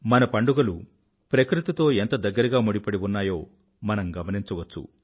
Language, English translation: Telugu, We can witness how closely our festivals are interlinked with nature